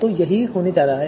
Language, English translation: Hindi, So this is what is going to happen